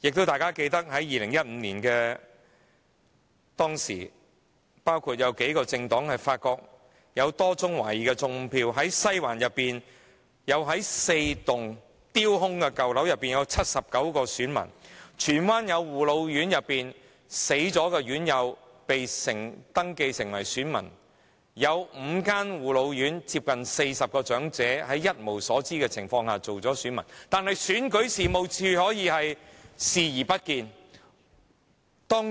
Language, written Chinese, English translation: Cantonese, 大家亦記得在2015年，數個政黨發現有多宗懷疑"種票"事件，包括在西環4座丟空的舊樓內竟有79名選民；在荃灣，有護老院內已離世院友被登記成為選民，另有5間護老院接近40名長者在一無所知的情況下成為選民，但選舉事務處卻視而不見。, Moreover as we still remember there were various suspected vote - rigging incidents involving several political parties back then in 2015 namely 79 voters found to have registered with false addresses in four abandoned old buildings in Western District; deceased residents of care and attention homes for the elderly in Tsuen Wan were being registered as voters; 40 residents from five different care and attention homes for the elderly became voters who did not have the knowledge of themselves being registered as voters . Yet the Registration and Electoral Office simply turned a blind eye to all such vote - rigging instances